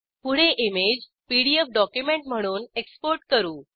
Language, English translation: Marathi, Next lets export the image as PDF document